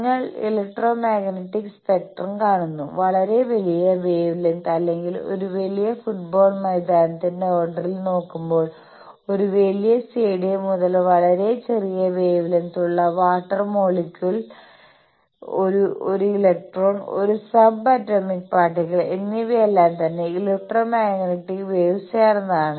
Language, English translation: Malayalam, You see the electromagnetic spectrum; you see starting from very large wave lengths or the order of a large soccer field, a large stadium to very small wave lengths like a water molecule, an electron, a sub atomic particle all these are composed of electromagnetic waves